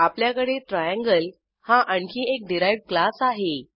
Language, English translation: Marathi, Here we have another derived class as triangle